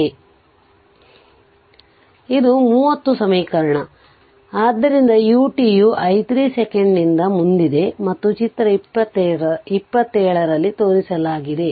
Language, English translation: Kannada, So, this is equation 30 say so this equation 30 it indicates that u t is advanced by t 0 second and is shown in figure ah 27